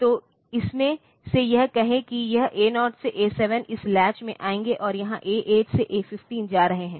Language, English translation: Hindi, So, out of that say this A 0 to A 7 will come from this latch, and here A 8 to A 15 are going